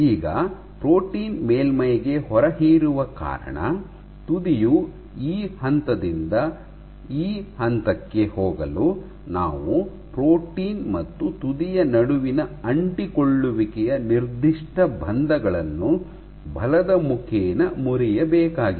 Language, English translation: Kannada, Now, because the protein was adsorbed onto the surface, for the tip to go from this point to this point you have to break; forces break the nonspecific bonds of adhesion between the protein and the tip